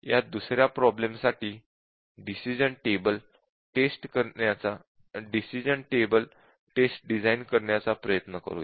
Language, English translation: Marathi, So, let us try to design the decision table test for another problem